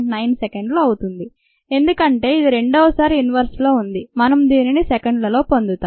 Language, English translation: Telugu, twenty eight point nine seconds, because this was in second inverse, we get this in seconds